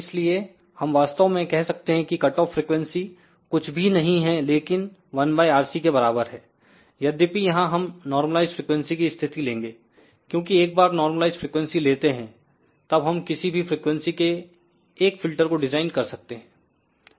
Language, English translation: Hindi, So, we can actually say that the cutoff frequency is nothing but omega c is equal to 1 divided by RC; however, we will take a normalized frequency situation here, because once we deal with the normalized frequency, then we can design a filter at any desired frequency